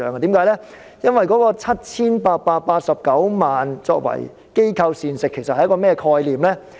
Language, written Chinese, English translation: Cantonese, 其實 7,889 萬元用作機構膳食是甚麼概念呢？, What does a 78.89 million budget on provisions for institutions represent?